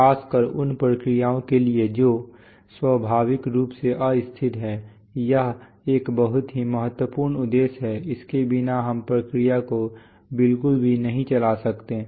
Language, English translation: Hindi, Especially for processes which are inherently unstable, this is a very important objective, without this we cannot run the process at all